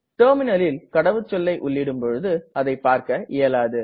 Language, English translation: Tamil, The typed password on the terminal, is not visible